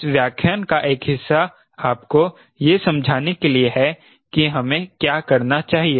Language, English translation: Hindi, part of this lecture is to give you the understanding what we should do now